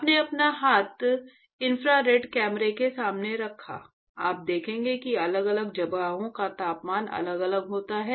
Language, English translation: Hindi, You put your hand in front of the infrared camera; you will see that the temperature of different location is different